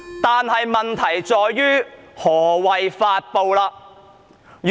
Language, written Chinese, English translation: Cantonese, 但是，問題在於何謂"發布"。, However the problem lies in what is meant by publish